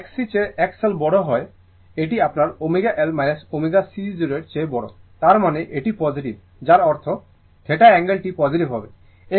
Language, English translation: Bengali, If X L greater than X C means, that is your omega L minus omega c greater than 0, that means, it is positive that means, by the angle theta will be positive